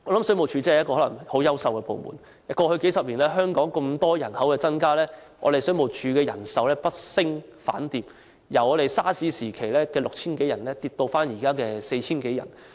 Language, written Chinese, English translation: Cantonese, 水務署真的可能是很優秀的部門，過去數十年，香港人口大量增加，但水務署的人手卻不升反跌，由 SARS 時期 6,000 多人，下跌至現時 4,000 多人。, WSD is probably a really great department . Although Hong Kongs population has increased substantially over the last few decades the number of staff in WSD has instead decreased from over 6 000 people during the SARS epidemic to around 4 000 today